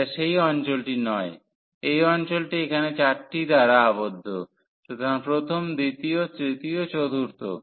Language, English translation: Bengali, So, this is not the region here this the region by this 4; so, 1 the 2 and the third and the 4